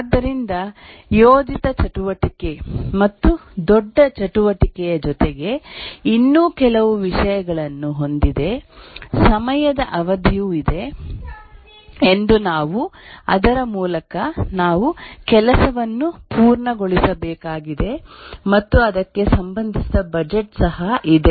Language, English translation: Kannada, So, in addition to a planned activity and a large activity, we also have few other things that there is a time period by which we need to complete the work and also there is a budget associated with it